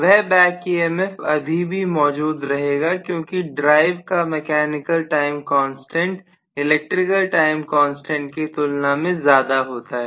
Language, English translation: Hindi, So that back EMF would still exists because the mechanical time constant of the drive will be generally larger as compared to the electrical time constant